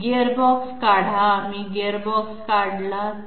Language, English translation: Marathi, Remove the gearbox, what if we remove the gearbox